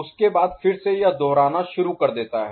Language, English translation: Hindi, After that, again it starts repeating